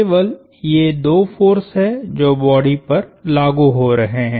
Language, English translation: Hindi, These are the only two forces acting on the body